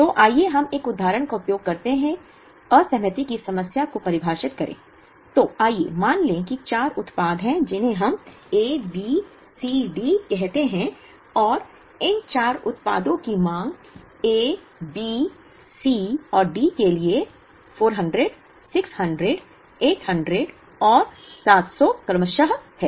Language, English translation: Hindi, So, let us define the disaggregation problem using an example, so let us assume that there are four products, which we call A, B, C, D and demand for these four products are 400, 600, 800 and 700 for A, B, C and D respectively